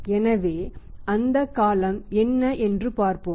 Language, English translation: Tamil, So, let us see what is that period